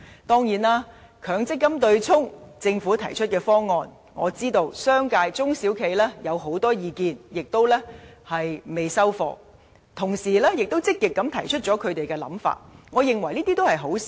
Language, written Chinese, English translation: Cantonese, 當然，對於政府就強積金對沖機制提出的方案，我知道商界及中小企有很多意見，亦未肯接受方案，同時亦積極提出他們的看法，我認為這是好事。, Of course I learn that the commercial sector and small and medium enterprises SMEs have strong opinions about the Governments proposal on the MPF offsetting mechanism . While refusing to accept the proposal they have actively put forward their views . I believe that this is good indeed